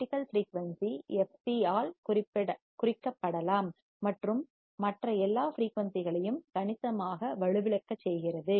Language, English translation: Tamil, Critical frequency, can be denoted by fc and significantly attenuates all the other frequencies